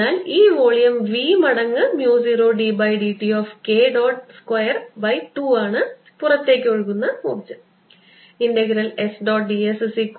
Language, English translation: Malayalam, so this volume times mu, zero, d by d t of k dot, square by two, that is the energy flowing out